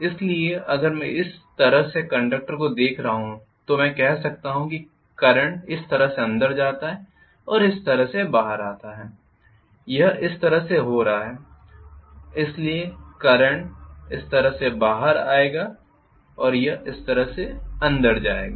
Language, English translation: Hindi, So if am looking at the conductor like this I can say the current goes inside like this and comes out like this, this is how it is going to be,right